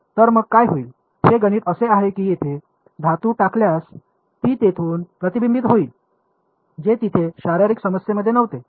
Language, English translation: Marathi, So, what will happen is that math that by putting a metal over here that is going to be a reflection from there so, which was not there in the physical problem